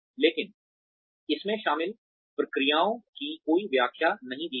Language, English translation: Hindi, But, it did not offer any explanation of the processes involved